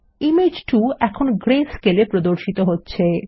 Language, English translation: Bengali, Image 2 is now displayed in greyscale